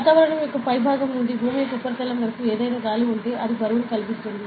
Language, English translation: Telugu, So, whatever air is there in between the top of the atmosphere to the surface of earth, will be causing a weight